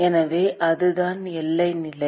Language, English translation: Tamil, So, that is the boundary condition